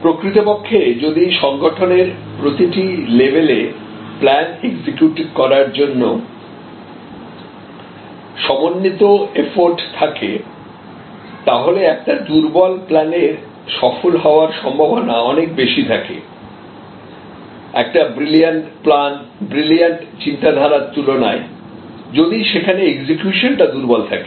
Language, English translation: Bengali, In fact, a poor plan with strong execution concerted effort at every level of the organization will have a higher probability of success compared to a brilliant plan, brilliant thinking, but poor execution